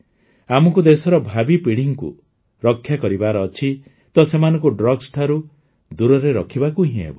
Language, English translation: Odia, If we want to save the future generations of the country, we have to keep them away from drugs